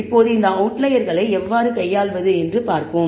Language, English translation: Tamil, Now, let us see how to handle these outliers